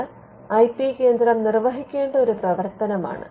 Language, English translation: Malayalam, Now, this is a function that the IP centre has to discharge